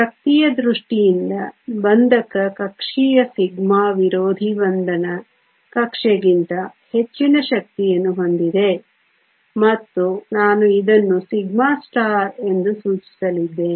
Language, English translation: Kannada, In terms of energy the bonding orbital sigma has a higher energy than the anti bonding orbital and I am going to denote this as sigma star